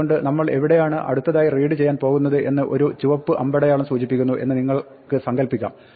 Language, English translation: Malayalam, So, you can imagine a pointer like this red arrow which tells us where we are going to read next